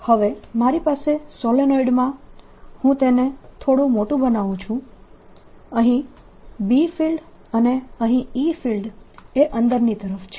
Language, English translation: Gujarati, so what i have now is that in the solenoid let me make it slightly bigger on the surface here is the b field and here is the e field going in